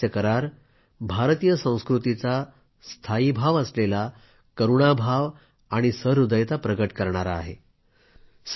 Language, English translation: Marathi, This agreement also epitomises the inherent compassion and sensitivity of Indian culture